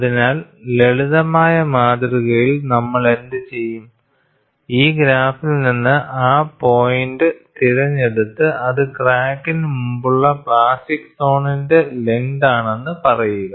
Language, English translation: Malayalam, So, what we will do in the simplistic model is, just pick out that point from this graph and say that is the length of plastic zone ahead of the crack